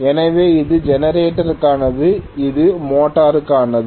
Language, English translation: Tamil, So, this is for generator whereas this is for motor right